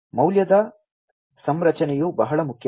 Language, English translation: Kannada, Value configuration is very important